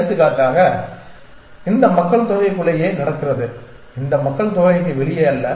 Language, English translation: Tamil, For example, happens only within that population and not outside this population